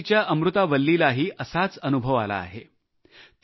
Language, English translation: Marathi, Amurtha Valli of Puducherry had a similar experience